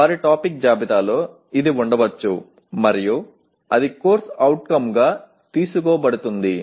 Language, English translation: Telugu, In their topic list this could be there and that is picked up and written as a course outcome